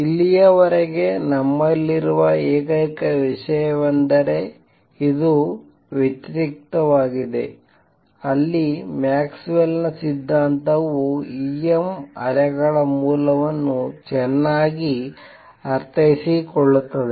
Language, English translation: Kannada, So far, the only thing that we have is this is in contrast with is the Maxwell’s theory where source of E m waves is well understood